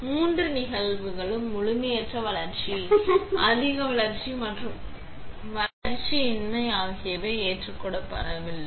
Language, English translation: Tamil, So, these all 3 cases incomplete development, over development and underdevelopment is not accepted